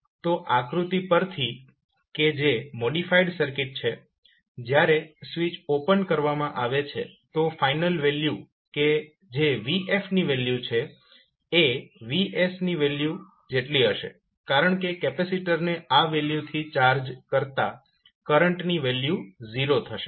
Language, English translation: Gujarati, Now Vf is the forced or steady state response so if you see from the figure which is the modified circuit when the switch is opened so the Vs the final value that is value of Vf is nothing but Vs because when the capacitor is charged to its value the current will be 0